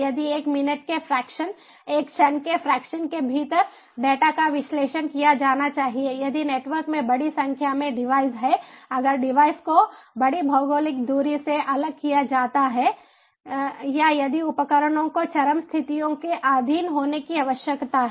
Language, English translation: Hindi, if the data should be analyzed within a fraction a minute, fraction of a second, if there is huge number of devices in the network, if the devices are separated by large geographical distance or if the devices are needed to be subjected to extreme conditions